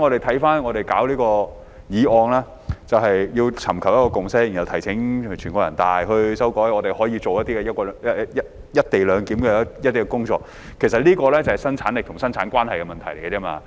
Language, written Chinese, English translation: Cantonese, 回看這項議案，它旨在尋求一個共識，然後提請全國人民代表大會常務委員會作出修改，讓我們可以進行"一地兩檢"的工作，這其實是生產力與生產關係的問題而已。, Let us get back to the motion . It aims to seek a consensus on requesting the Standing Committee of the National Peoples Congress for legislative amendments so that we can work on the co - location arrangement . In fact this is merely a matter of productivity and productive roles